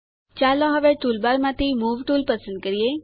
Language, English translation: Gujarati, Let us now select the Move tool from the toolbar